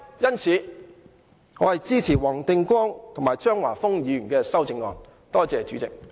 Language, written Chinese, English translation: Cantonese, 因此，我支持黃定光議員和張華峰議員的修正案。, Thus I support the amendments proposed by Mr WONG Ting - kwong and